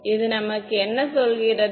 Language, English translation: Tamil, So, what does this tell us